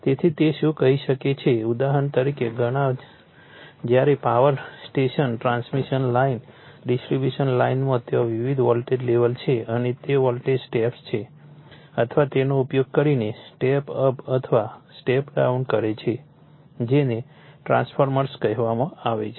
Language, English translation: Gujarati, So, it can your what you call for example, many when you look at the your power station, transmission line, distribution line, there are different voltage level and those voltage steps are or step up or step down only / using your what you call the transformers right